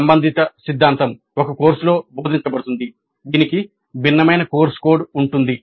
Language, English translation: Telugu, The corresponding theory is taught in a course which is a different course code